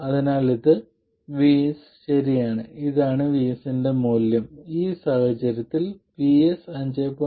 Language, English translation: Malayalam, This is the value of VS and VS in this case is 5